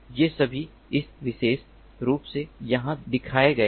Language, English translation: Hindi, these are all shown over here in this particular